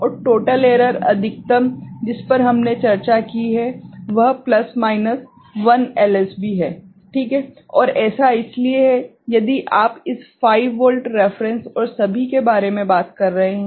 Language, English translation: Hindi, And total error maximum that we have discussed is plus minus 1 LSB ok, and so that is if you are talking about this 5 volt reference and all